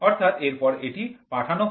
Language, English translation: Bengali, So, it is transmitted